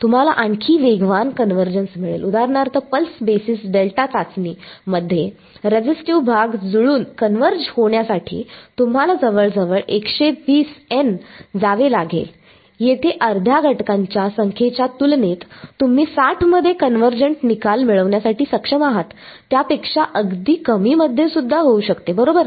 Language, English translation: Marathi, You will get even faster convergence for example, in the pulse basis delta testing you have to go nearly 120 N in order to get the resistive part to match to converge, here within half the number of elements within 60 you are able to get convergent result may be even less than that right